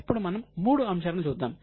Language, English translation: Telugu, Now, let us go into all the three components